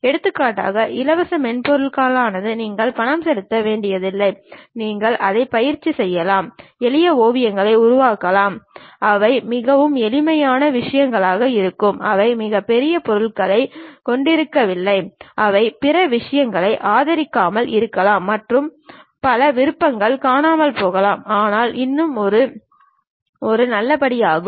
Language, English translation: Tamil, Example free software you do not have to pay any money, you can just practice it, construct simple sketches, they might be very simple things, they might not have very big objects, they may not be supporting other things and many options might be missing, but still it is a good step to begin with that